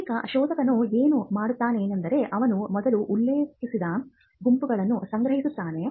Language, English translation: Kannada, Now the what what the searcher would do is he will first collect a set of references